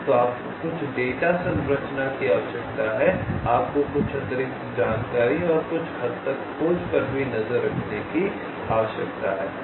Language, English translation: Hindi, so you need some data structure, you need to keep track of ah, some additional information and some degree of searching